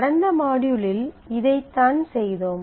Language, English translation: Tamil, So, this is what we had done in the last module